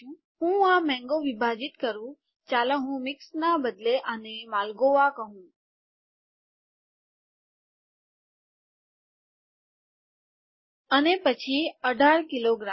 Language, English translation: Gujarati, Let me split this mango, instead of mixed let me call this Malgoa, and then 18 kilograms 50 kilograms let me delete this okay